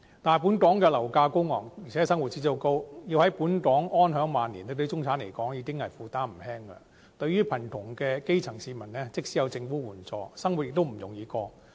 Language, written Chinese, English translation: Cantonese, 但是，本港的樓價高昂，而且生活指數高，要在本港安享晚年對中產而言已經負擔不輕，對於貧窮的基層市民而言，即使有政府援助，生活亦不容易過。, However due to the exorbitant property prices and high living standard it will barely be affordable for the middle class to enjoy their twilight years in Hong Kong . Life is really not easy for the poor grass - roots people even with subsidies from the Government